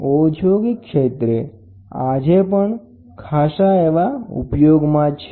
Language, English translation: Gujarati, This is industrial type this is a manometer which is used even today